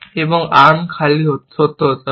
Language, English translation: Bengali, Then, arm empty is not true